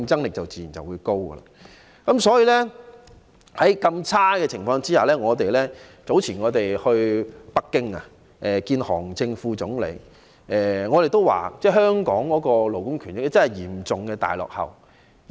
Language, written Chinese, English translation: Cantonese, 目前的情況是如此惡劣，因此當我們於較早前前往北京見韓正副總理時，也曾指出香港的勞工權益真的是嚴重大落後。, In view of the deplorable situation nowadays we brought up the point about the profound backwardness of the labour rights and interests in Hong Kong when we went over to meet with Vice Premier Han Zheng in Beijing earlier